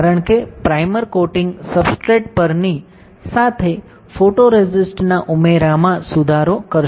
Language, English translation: Gujarati, Because primer coating will improve the addition of photoresist with onto the substrate